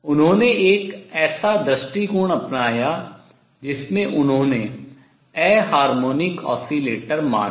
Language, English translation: Hindi, He took an approach whereby he considered the anharmonic oscillator